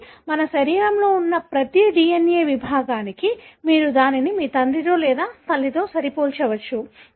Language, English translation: Telugu, So, what happens is that for every DNA segment that we have in our body, you can match it either with your father or with mother